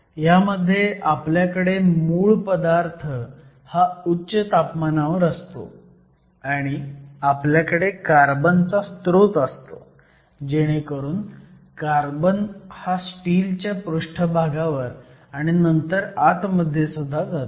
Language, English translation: Marathi, So, it typically what we do is we have your sample at high temperature, you have a carbon source so that the carbon then just defuses into the surface and into the bulk of your steel